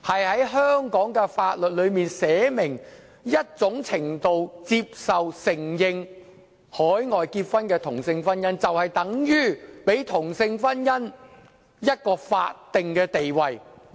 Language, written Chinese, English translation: Cantonese, 在香港的法例中，訂明某種程度接受和承認海外締結的同性婚姻，就等於給同性婚姻一個法定地位。, In the laws of Hong Kong the acceptance and recognition of same - sex marriage celebrated overseas in a certain measure equals to granting a statutory status to same - sex marriage